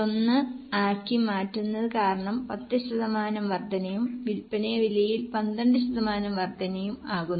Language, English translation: Malayalam, 1 because 10% increase and it says 12% increase in the selling price